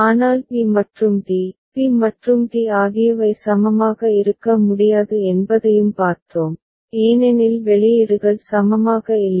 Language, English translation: Tamil, But we have also seen that b and d, b and d they cannot be equivalent because the outputs are not equivalent ok